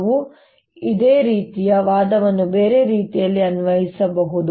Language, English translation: Kannada, i can apply similar argument the other way